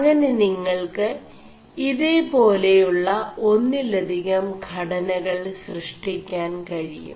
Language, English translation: Malayalam, You can generate these multiple structures